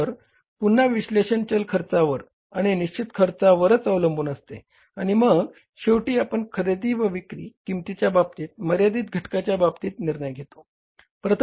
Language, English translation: Marathi, So, again, the analysis will depend upon the variable cost and the fixed cost and finally fixing of the buying or selling price, key or limiting factor